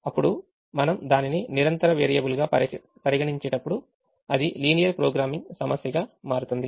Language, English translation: Telugu, now, the moment we treat it as a continuous variable, it becomes a linear programming problem